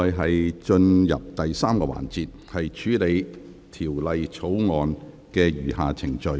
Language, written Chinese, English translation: Cantonese, 現在進入第3個環節，處理《條例草案》的餘下程序。, Council now proceeds to the third session to deal with the remaining proceedings of the Bill